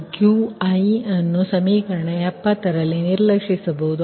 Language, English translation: Kannada, right, and qi may be neglected in equation seventy